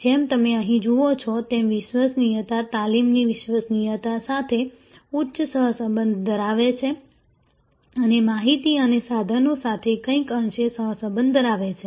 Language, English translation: Gujarati, As you see here reliability has a high correlation with a training reliability has somewhat correlation with mid order correlation with information and equipment